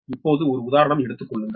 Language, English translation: Tamil, now take one example